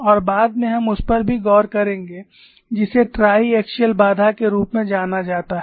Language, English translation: Hindi, And later on we will also look at what is known as triaxiality constraint